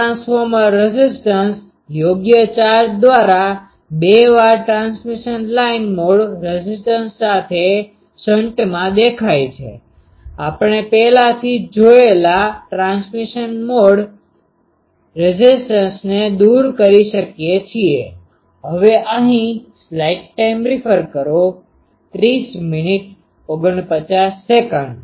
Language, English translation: Gujarati, This transformer impedance appears in shunt with twice the transmission line mode impedance by proper charge, we can remove transmission line mode impedance that we have already seen